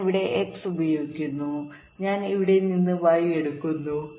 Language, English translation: Malayalam, i apply x here and i take y from here